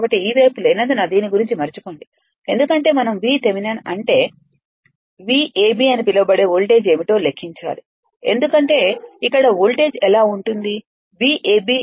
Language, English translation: Telugu, So, forget about this one as this side is not there because we have to calculate the v V Thevenin means, the voltage across your what to call your v a b right what will be the what will be the voltage here right v a b is equal to b Thevenin